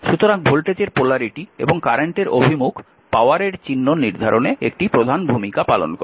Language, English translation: Bengali, So, polarity of voltage and direction of current play a major role in determine the sign of power it is therefore, your important to see this right